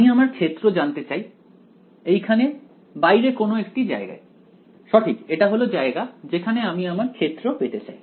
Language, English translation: Bengali, I want to know the field somewhere outside here right that is where I want to find out the field